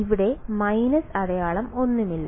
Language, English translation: Malayalam, So, there is no minus sign over here fine